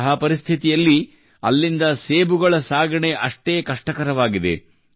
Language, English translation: Kannada, In such a situation, the transportation of apples from there is equally difficult